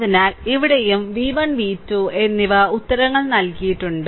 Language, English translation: Malayalam, So, here also v 1 and v 2 you have to find out right answers are given